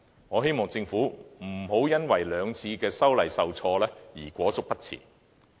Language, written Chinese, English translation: Cantonese, 我希望政府不要因為兩次修訂受挫便裹足不前。, I hope the Government will not get stuck and does not move on due to the two unsuccessful attempts made previously